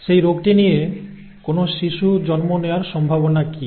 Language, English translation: Bengali, What are the chances that a child will be born with that disease